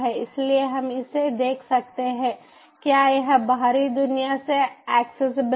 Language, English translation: Hindi, so we can, we lets see it whether it is accessible from the outside world